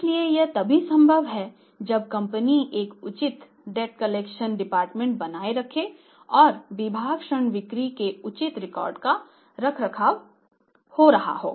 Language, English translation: Hindi, So, this is only possible if there are maintaining a proper that debt collection department and the department maintaining the proper records of a credit sale